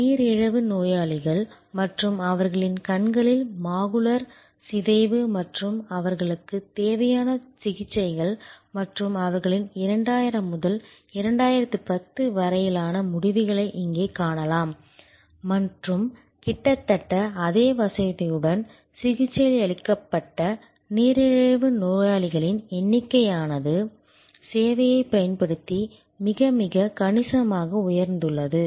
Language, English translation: Tamil, The macular degeneration of diabetic patients and their eyes and the treatments they need and you can see here the result of their 2000 to 2010 and you can see the number of diabetics treated with almost the same facility have gone up very, very significantly using the service design principles